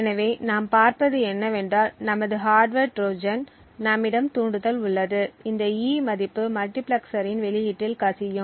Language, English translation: Tamil, So what we see is that this is our hardware Trojan, we have the trigger over here and this E value is what gets leaked to the output of the multiplexer